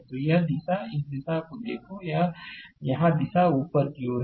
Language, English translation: Hindi, So, this direction, look at the direction, direction here it is upward right